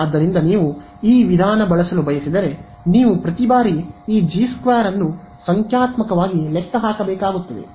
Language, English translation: Kannada, So, you if you want to use this approach, you will have to numerically calculate this G 2 every time